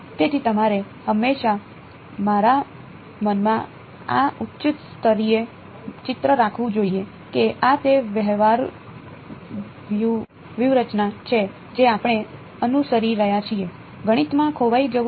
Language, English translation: Gujarati, So, you should always have this high level picture in that mind that this is the strategy, that we are following otherwise, its easy to get lost in math all right clear